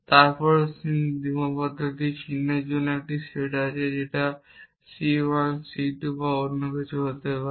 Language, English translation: Bengali, Then there is a set of constraints symbols it could be c 1 c 2 or something